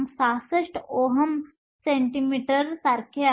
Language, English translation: Marathi, 66 ohm centimeter